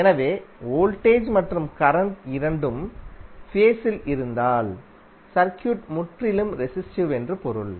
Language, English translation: Tamil, So if both voltage and current are in phase that means that the circuit is purely resistive